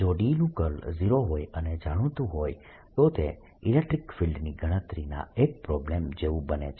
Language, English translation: Gujarati, if curl of d was zero and it was known, it becomes like a problem of calculating electric field